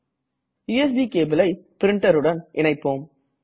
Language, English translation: Tamil, Lets connect the USB cable to the printer